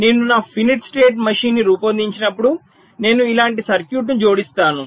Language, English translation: Telugu, so by analyzing a finite state machine, the well, when i design my finite state machine, i will be adding a circuit like this